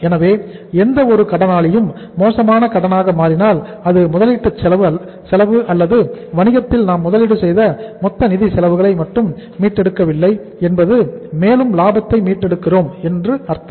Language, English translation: Tamil, So it means if any debtor becomes a bad debt it is not only that we are not recovering the cost of investment or the total funds we have invested in the business, we are not recovering the profit also